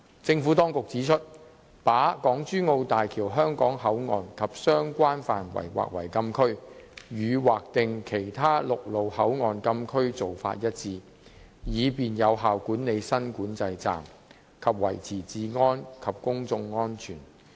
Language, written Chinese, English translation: Cantonese, 政府當局指出，把港珠澳大橋香港口岸及相關範圍劃為禁區，與劃定其他陸路口岸禁區的做法一致，以便有效管理新管制站，以及維持治安和公眾安全。, The Administration pointed out that the designation of HZMB HKP and related areas as Closed Areas was in line with the practice of designating closed areas at other land boundary control points for the effective management of the new control point and the maintenance of public order and public safety